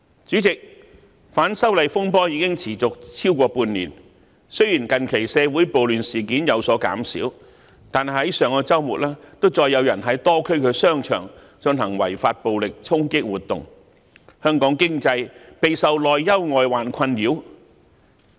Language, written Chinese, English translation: Cantonese, 主席，反修例風波已持續超過半年，雖然近期社會暴亂事件有所減少，但上周末再有人在多區商場進行違法暴力衝擊活動，香港經濟備受內憂外患困擾。, President disturbances arising from the opposition to the proposed legislative amendments have continued for over half a year . Although there have been fewer riots recently some people have unlawfully launched violent charges in shopping malls in many districts over the past weekend . The economy of Hong Kong is thus faced with both internal and external threats